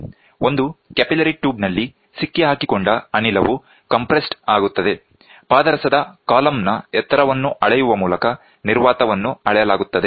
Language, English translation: Kannada, The trapped gas gets compressed in a capillary tube, the vacuum is measured by measuring the height of the column of mercury